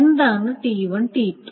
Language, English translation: Malayalam, So, what is T2T1